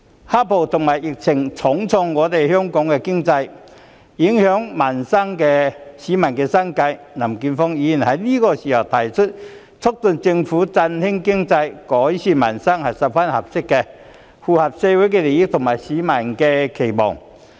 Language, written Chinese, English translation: Cantonese, "黑暴"和疫情重創香港經濟，影響市民生計，林健鋒議員此刻提出促進政府振興經濟、改善民生，是十分合適的，符合社會利益和市民的期望。, The black - clad violence and the epidemic have dealt a serious blow to Hong Kongs economy and affected peoples livelihood . It cannot be more apt for Mr Jeffrey LAM to urge the Government at this time to boost the economy and improve peoples livelihood which is consistent with the interests and aspirations of the community